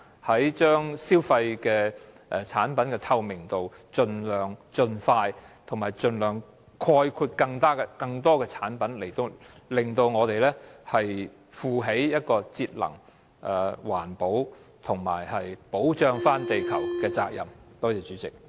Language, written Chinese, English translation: Cantonese, 提高產品的資訊透明度的計劃應盡量及盡快涵蓋更多產品，令我們負起節能、環保和保護地球的責任。, The scheme to increase the transparency of product information should cover more products as soon as possible so that we can assume our responsibility in saving energy protecting the environment and saving the Earth